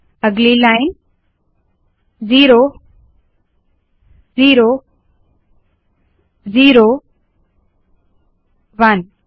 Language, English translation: Hindi, Next line: zero, zero, zero, one